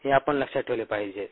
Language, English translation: Marathi, we need to remember this